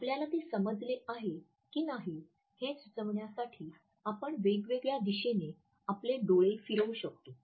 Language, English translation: Marathi, We can move our eyes in different directions to suggest whether we have understood it or not